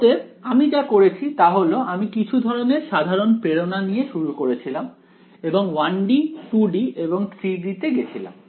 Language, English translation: Bengali, So, what we have done is we started with some kind of basic motivation and went on to 1 D,2 D and 3 D